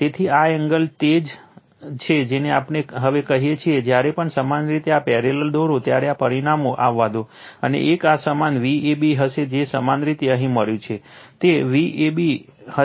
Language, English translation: Gujarati, So, this angle is your what we call now whenever you draw this parallel let this results and into one this will be your V a b whatever you have got it here this will be V ab